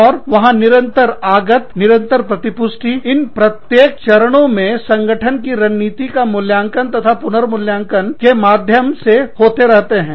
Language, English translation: Hindi, And, there is constant input, constant feedback, going into each of these stages, in and through the evaluation of the firm strategy, re visitation of the firm